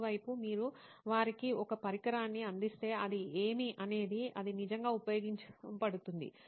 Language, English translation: Telugu, On the other hand if you provide them a device which is actually meant to serve what it should do